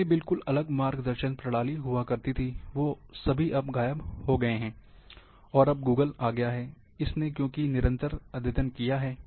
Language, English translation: Hindi, There were used to be separate navigation system, probably all of them have disappeared now, and Google has come because the updating is done